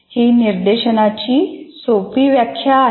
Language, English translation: Marathi, That is a simple way of defining instruction